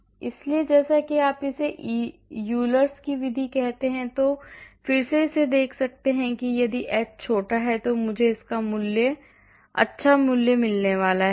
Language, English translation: Hindi, So, as again you can see this called Euler’s method and again as you can see here if h is small I am going to get a nice y value